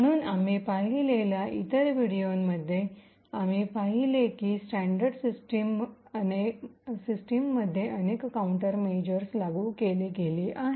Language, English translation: Marathi, So, in the other videos that we have looked at we have seen that there are several countermeasures that have been implemented in standard systems